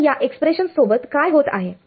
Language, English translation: Marathi, So, what happens to these expressions